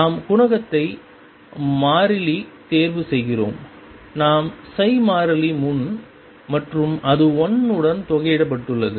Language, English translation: Tamil, We choose the coefficient the constant, we choose the constant in front of psi and such that it has integrated to 1